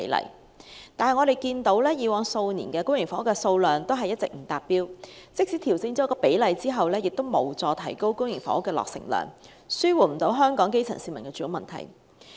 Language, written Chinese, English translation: Cantonese, 然而，我們看到以往數年公營房屋的數量一直不達標，即使調整比例亦無助提高公營房屋的落成量，無法紓緩香港基層市民的住屋問題。, However we can see that public housing supply could not reach the target in the past few years . A ratio adjustment will be of little help in increasing public housing production volume and alleviating the housing issue facing the grassroots in Hong Kong